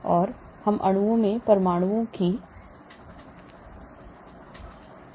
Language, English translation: Hindi, So we can go up to 1000s of atoms in molecules